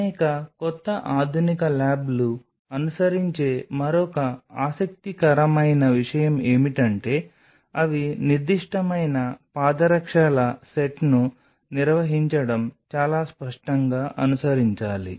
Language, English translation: Telugu, So, another interesting thing which many new modern labs do follow is or rather should be very clearly followed that they maintain a specific set of footwears